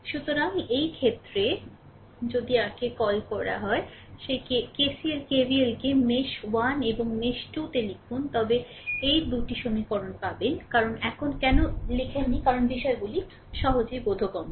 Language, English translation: Bengali, So, in this case, if we apply write down your what we call that your KCL right KVL in mesh 1 and mesh 2, then you will get this 2 equations, I did not write now why because things are very easily understandable for you